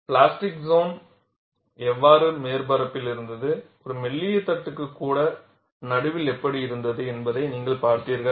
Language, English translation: Tamil, You had seen how the plastic zone was on the surface, how it was there in the middle, even for a thin plate